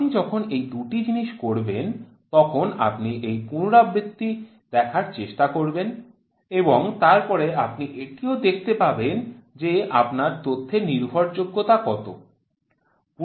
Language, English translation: Bengali, When you do these two things you will try to see that repeatability and then you will also see how reliable are your data reliability